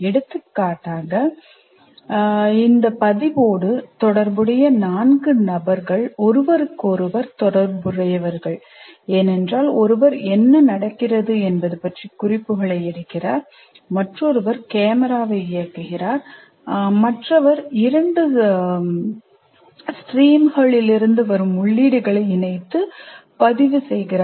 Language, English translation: Tamil, For example, the four people that are associated with this recording, they are briefly interrelated to each other because one is kind of making notes about what is happening, another one is operating the camera, the other one is combining the inputs that come from two streams and trying to record